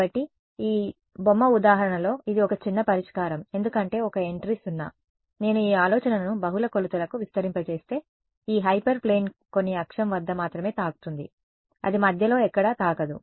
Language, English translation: Telugu, So, in this very toy example it is a sparse solution because one entry is 0, if I expand this idea to multiple dimensions this hyper plane will touch at some axis only, it will not touch somewhere in between